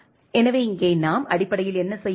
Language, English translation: Tamil, So, here what we basically do